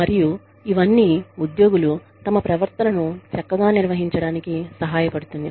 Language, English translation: Telugu, And, all of this helps the employees, manage their own behavior, better